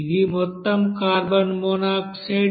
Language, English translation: Telugu, So this amount of total carbon monoxide will be produced